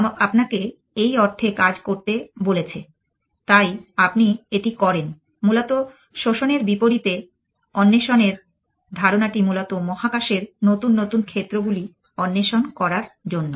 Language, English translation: Bengali, Somebody told you do this sense, so you do that essentially as oppose to exploitation is the notion of exploration to explore new idea new areas of the space essentially